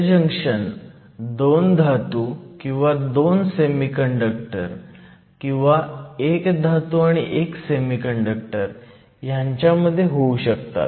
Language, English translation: Marathi, These junctions can be formed between 2 semiconductors or between a metal and a semiconductor or between 2 metals